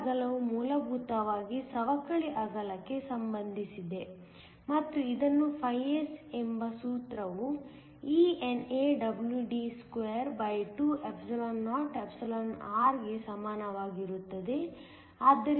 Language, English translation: Kannada, This width is essentially related to the depletion width, and it is given by the formula phi s is equal to eNAWD22or